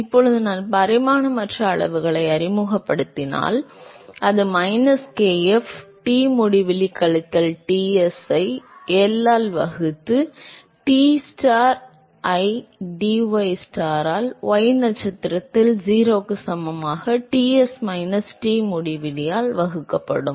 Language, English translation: Tamil, So, now if I introduce the non dimensional quantities, so that will become minus kf, Tinfinity minus Ts divided by L, Tstar by dystar, at y star equal to 0, divided by Ts minus Tinfinity